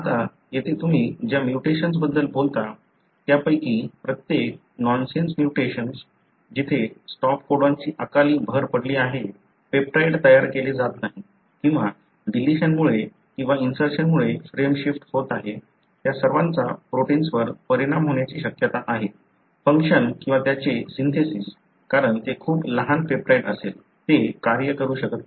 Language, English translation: Marathi, Now, here each one of the mutation that you talk about, nonsense where there is a premature addition of stop codon, peptide is not being made or there is a frame shift either because of deletion or insertion, all of them likely to affect the protein function or even its synthesis, because it will be a very small peptide, it cannot even function